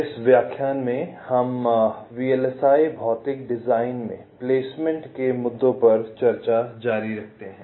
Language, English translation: Hindi, so in this lecture we continue with the discussion on placement issues in vlsi physical design